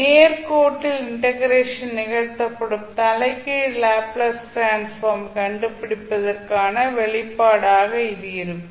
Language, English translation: Tamil, So, this would be the expression for finding out the inverse Laplace transform where integration is performed along a straight line